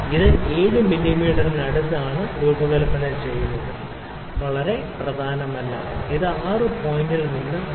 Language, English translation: Malayalam, And it is not very important to design it exactly close to 7 mm it can vary from 6 point I can say 6